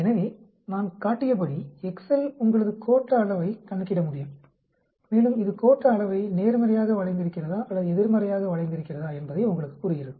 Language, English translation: Tamil, So, excel as I showed you can calculate your skewness and it tells you whether it is positively skewed or whether it is negatively skewed